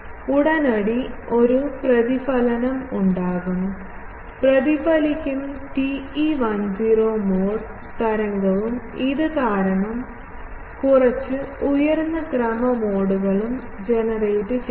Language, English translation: Malayalam, There will be immediately a reflection, there will be a reflected TE 10 mode wave also, because of this discontinuity there will be some higher order modes will get generated